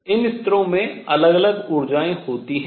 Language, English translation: Hindi, These levels have different energies